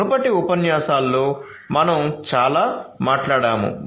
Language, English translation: Telugu, We have talked about a lot in the previous lectures